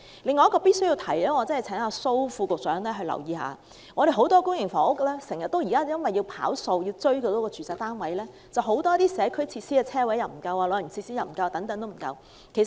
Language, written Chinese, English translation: Cantonese, 另外，我必須請蘇副局長留意，有很多公營房屋因為要"跑數"，住宅單位數量要達標，導致社區設施、泊車位、長者設施等不足。, Besides I must ask Under Secretary SO to note that as the number of public residential units must meet relevant target community facilities parking spaces and elderly facilities in many public housing estates are inadequate as a result